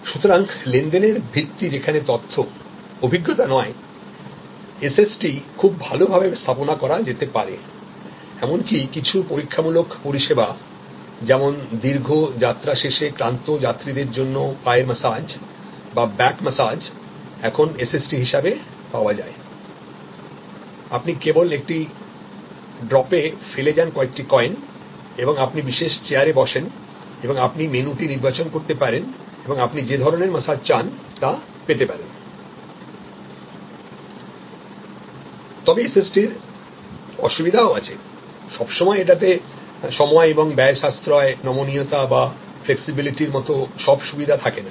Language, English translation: Bengali, So, wherever the basis of transaction is information as suppose to experience SST can be very well deployed, some even experiential services like for example foot massage or back massage for tired travelers after long flight and now available as a SST, you just drop in a few a coins and you sit on the special chair and you can select the menu and you can get the kind of massage you want